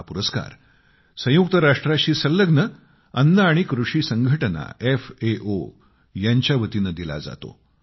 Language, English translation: Marathi, This award is given by the UN body 'Food & Agriculture Organisation' FAO